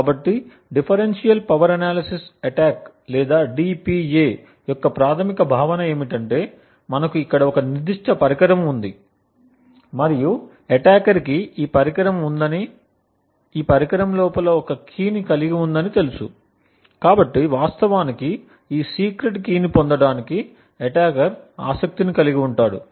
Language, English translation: Telugu, So, the basic idea of Differential Power Analysis attacks or DPA as it is commonly known as is that we have a particular device over here and the assumption is the attacker has this device and this device has a key which is present inside, so this secret key is what the attacker is interested to actually retrieve